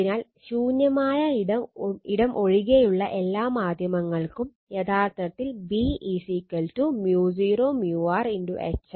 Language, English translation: Malayalam, So, for all media other than free space, actually B is equal to mu 0 mu r into H right